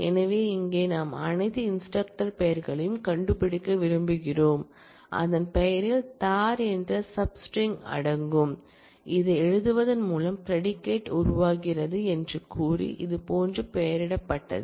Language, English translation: Tamil, So, here we want to find the names of all instructors, whose name includes the substring “dar” and by writing this so saying the predicate is formed is named like this